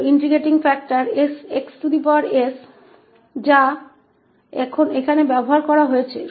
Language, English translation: Hindi, So, this is the integrating factor x power s which is used here